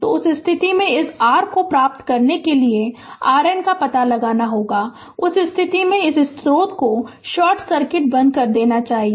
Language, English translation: Hindi, So, in that case to get this your ah here you have to find out R N right; in that case this source should be turned off short circuit